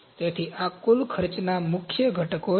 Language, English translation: Gujarati, So, these are the major components of the total cost